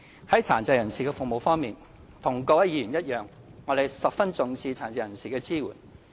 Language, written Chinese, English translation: Cantonese, 在殘疾人士服務方面，和各位議員一樣，我們十分重視對殘疾人士的支援。, As regards services for persons with disabilities we attach great importance to support provided for them just like all Members here